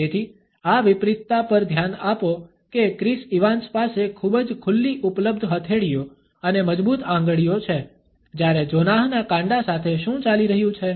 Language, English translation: Gujarati, So, pay attention to this contrast this with Chris Evans very open available palms and strong fingers to see what Jonah has going on with his wrists which it is kind of flimsy it kind of just shakes there